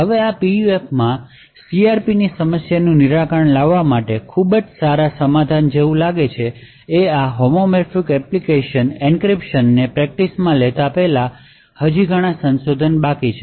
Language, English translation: Gujarati, Now this seems like a very good solution for solving CRP problem in PUF, there are still a lot of research before actually taking this homomorphic encryption to practice